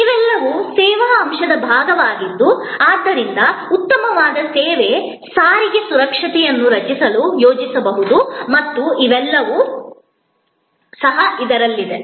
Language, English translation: Kannada, All these are part of the service element thus can be planned to create a superior set of service, transport security and all these also go in this